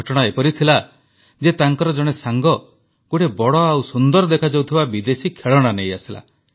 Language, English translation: Odia, It so happened that one of his friends brought a big and beautiful foreign toy